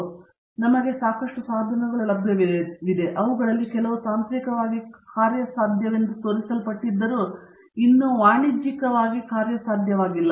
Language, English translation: Kannada, So, we have a whole lot of devices, some of them have been demonstrated to be technically feasible although still not commercially viable